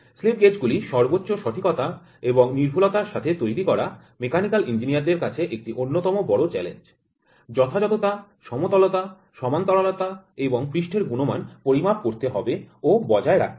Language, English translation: Bengali, Manufacturing slip gauges to the highest degree of accuracy and precision is one of the major challenges for mechanical engineers; the flat accuracy, flatness, parallelism and surface quality has to be measure has to be maintained